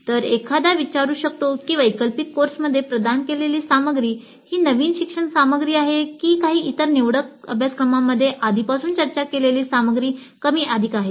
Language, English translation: Marathi, So one can ask whether the material provided in that elective course is substantially new learning material or is it more or less what is already discussed in some other elective courses